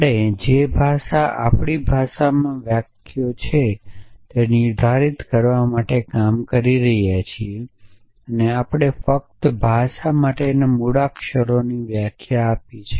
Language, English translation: Gujarati, So, the language we are working towards defining what is the sentences in our language so far we have only define the alphabet for the language